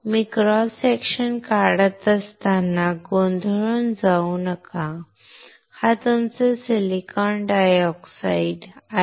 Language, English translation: Marathi, Do not get confused when I am drawing cross section, this is your silicon dioxide SiO2, Si